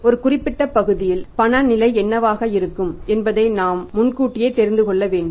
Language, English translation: Tamil, We have to know in advance well in advance that what is going to be the cash position over a period of time